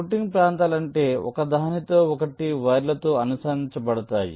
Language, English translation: Telugu, routing regions are those so which interconnecting wires are laid out